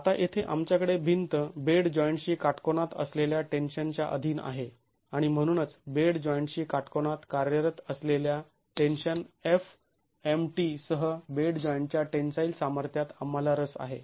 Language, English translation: Marathi, Now here the wall is subjected to tension perpendicular to the bed joint and therefore we are interested in the tensile strength of the bed joint with tension acting perpendicular to the bed joint FMT